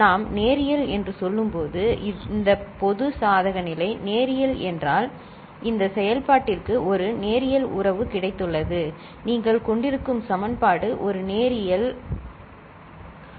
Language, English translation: Tamil, And when we say linear, so this general case, linear means this function has got a linear relationship, the equation that you are having is a linear relationship, ok